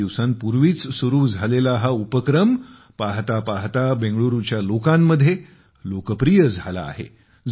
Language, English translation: Marathi, This initiative which started a few days ago has become very popular among the people of Bengaluru